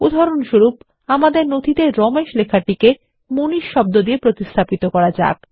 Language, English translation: Bengali, For example we want to replace Ramesh with MANISH in our document